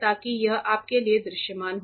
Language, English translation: Hindi, So, that you it is visible for you